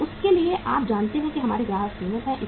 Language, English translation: Hindi, For that you know that our customers are limited